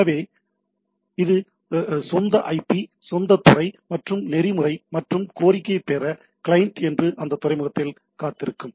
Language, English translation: Tamil, So, it its own IP own port and the protocol right and wait on that port that is client to get the request